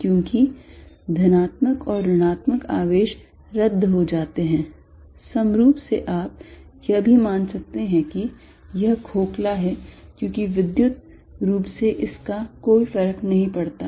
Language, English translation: Hindi, Because, positive and negative charges cancel, equivalently you can also think of this as being hollow, because electrically it does not matter